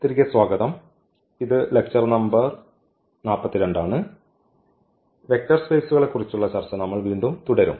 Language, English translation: Malayalam, So, welcome back and this is lecture number 42 and we will continue our discussion on Vector Spaces again